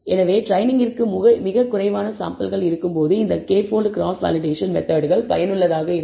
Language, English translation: Tamil, So, these methods k fold cross validation is useful when we have very few samples for training